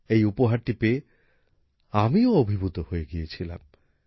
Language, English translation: Bengali, I was also overwhelmed on receiving this gift